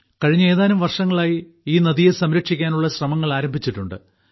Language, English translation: Malayalam, Efforts have started in the last few years to save this river